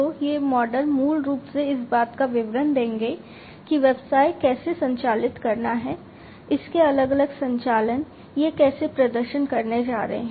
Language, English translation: Hindi, So, these models basically will give the description of how the business wants to operate, its different operations, how it is how they are going to be performed